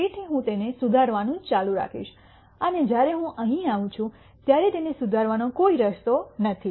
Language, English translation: Gujarati, So, I will keep improving it and when I come here there is no way to improve it any further